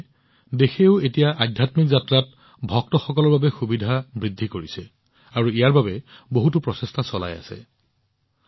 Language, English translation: Assamese, That is why the country, too, is now making many efforts to increase the facilities for the devotees in their spiritual journeys